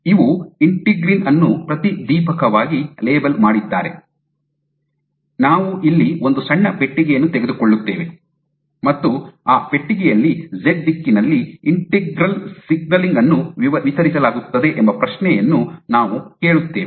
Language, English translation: Kannada, So, if we have fluorescently labeled integrin, let us say and we take a box here a small box here, and we ask the question that in this box how is the integral signaling distributed along the z direction